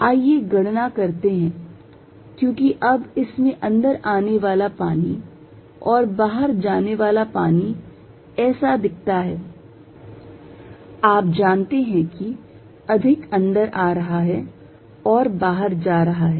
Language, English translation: Hindi, Let us calculate, because now water coming in and water going out it looks like, you know this is more coming in and going out